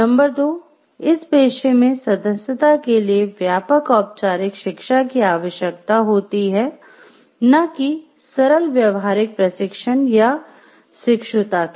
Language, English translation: Hindi, Number 2, the membership in the profession requires extensive formal education not simple practical training or apprenticeship